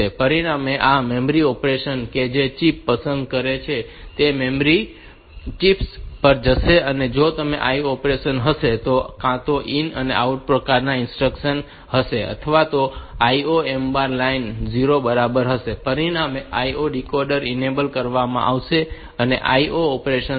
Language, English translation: Gujarati, As a result this memory operation that chip select will go to the memory chips and if it is IO operation then this either IN OUT type of instructions then the IO M bar line will be equal to 1, as a result these IO decoder will be enabled and the IO operations will takes place